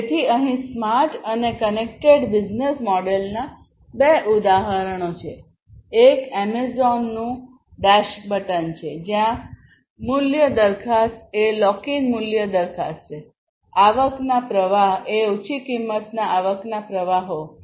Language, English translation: Gujarati, So, here are two examples of smart and connected business model; one is the Amazon’s dash button, where the value proposition is basically the lock in value proposition, the revenue streams are low cost, basically, you know, low cost revenue streams